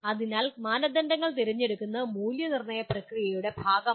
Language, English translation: Malayalam, So selection of criteria itself is a part of evaluation process